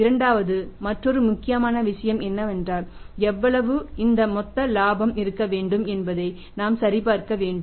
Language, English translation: Tamil, Second thing is another important thing is that this gross profit we have to check how much gross profit has to be there